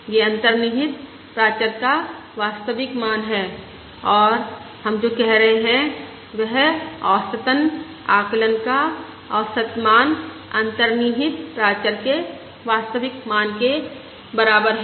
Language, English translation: Hindi, This is the true value of the underlying parameter, and what we are saying is: on an average, the average value of the estimate is equal to the true value of the underlying parameter